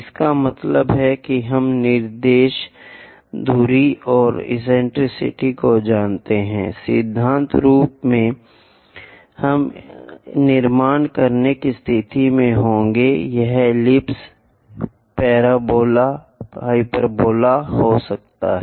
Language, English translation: Hindi, That means if we know the directrix distance and eccentricity, in principle, we will be in a position to construct it can be ellipse, parabola, hyperbola